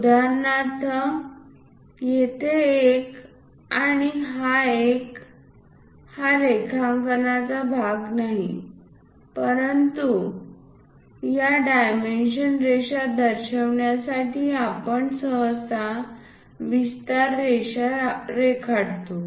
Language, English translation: Marathi, For example, here this one and this one these are not part of the drawing, but to represent these dimension line we usually draw what is called extension line